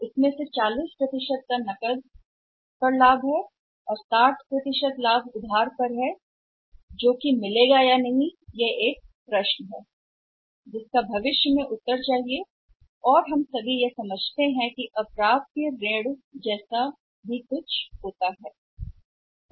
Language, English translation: Hindi, So, out of this only 40 percent is the cash profit sixty percent is the credit profit this 60% of the credit profit weather will be realised or not that will be the question to answer in future and we all understand that there is the sum something which is known as bad debts right